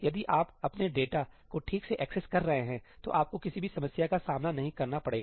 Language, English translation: Hindi, If you are accessing your data properly, then you will not face any issues